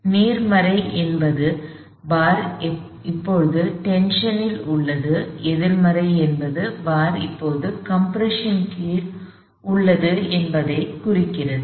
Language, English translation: Tamil, So, R n positive implies the bar is under tension, R n negative implies the bar is now gone under compression